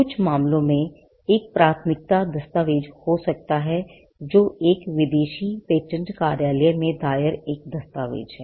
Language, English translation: Hindi, In some cases, there could be a priority document which is a document filed in a foreign patent office